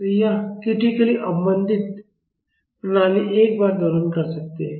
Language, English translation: Hindi, So, this critical damped system can oscillate once